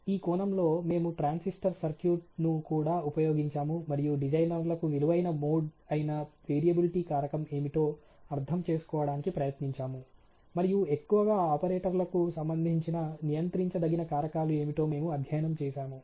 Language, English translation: Telugu, In the century also try to understanding on a transistor circuit what would really be the variability, you know factor which is valuable mode to what is the designers, what is also the controllable factors, which are you known mostly related to the operators, etcetera